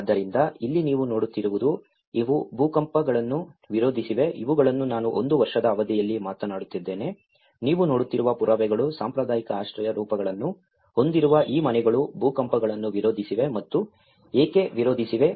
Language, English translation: Kannada, So, here what you see, these have resisted, these are some of immediate I am talking about within a span of one year, the evidences which you are seeing is that these houses with traditional shelter forms have resisted the earthquakes and why they have resisted because that is where the structural form within